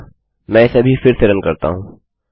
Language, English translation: Hindi, So let me just re run this code